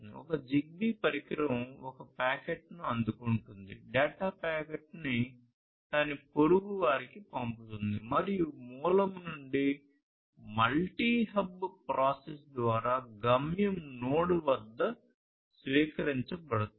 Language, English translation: Telugu, It is about that if there is one ZigBee device which receives a packet then it is going to send to one of its neighbors and through some multi hub process communication the data from the source will be received at the destination node